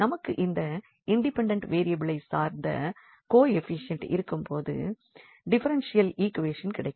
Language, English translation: Tamil, So, we will get a differential equation when we have these coefficients depending on the independent variable